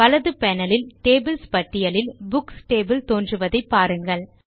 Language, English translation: Tamil, Notice that the Books table appears in the Tables list on the right panel